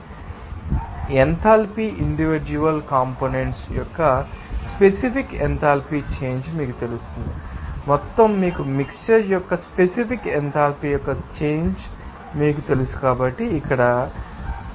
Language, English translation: Telugu, And enthalpy a specific enthalpy change of individual components we can get that you know, total you know change of mixture specific enthalpy their so can be written as here enthalpy specific enthalpy change of mixture will be equal to 0